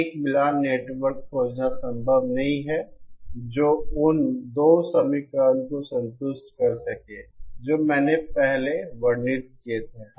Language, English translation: Hindi, It is not possible to find a matching network which can satisfy the 2 equations that I described before